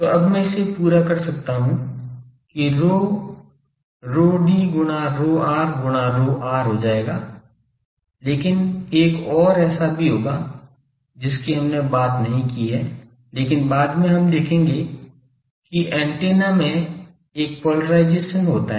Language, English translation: Hindi, So, now, I can complete this that rho will be rho r into rho c into rho d, but there will be another actually that we have not talk out, but later we will see that antenna has a polarisation